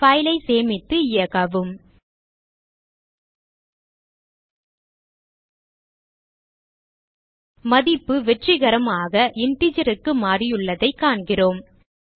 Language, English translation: Tamil, Save the file and run it we see that the value has been successfully converted to an integer